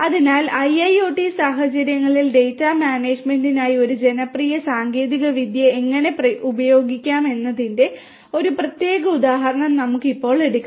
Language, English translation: Malayalam, So, let us now take a specific example of how Hadoop a popular technology could be used for data management in IIoT scenarios